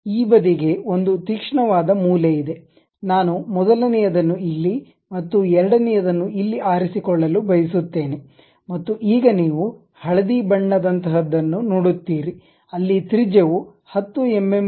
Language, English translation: Kannada, For this side this side there is a sharp corner I would like to pick the first one here and the second one here and now you see something like a yellow color where radius is showing 10 mm kind of fillet